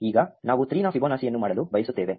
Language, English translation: Kannada, Now, we want to do Fibonacci of 3